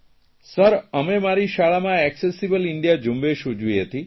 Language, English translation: Gujarati, "Sir, we celebrated Accessible India Campaign in our school